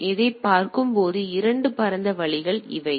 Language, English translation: Tamil, So, these are the 2 broader way of looking at it